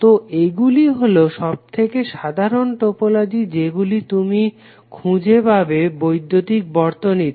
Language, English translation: Bengali, So these are the most common topologies you will encounter in the electrical circuits